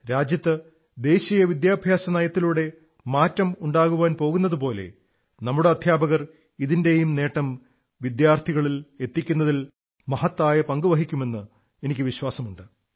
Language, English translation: Malayalam, I am confident that the way National Education Policy is bringing about a tectonic shift in the nation and that our teachers will play a significant role in disseminating its benefits to our students